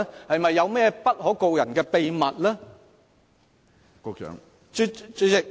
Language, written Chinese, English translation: Cantonese, 是否有不可告人的秘密？, Are there any secrets which cannot be divulged?